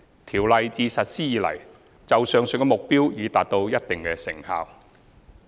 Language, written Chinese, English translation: Cantonese, 《條例》自實施以來，就上述目標已達到一定的效果。, Since its implementation the Ordinance has brought about notable results in achieving the above targets